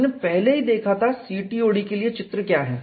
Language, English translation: Hindi, We had already seen what the diagram is for CTOD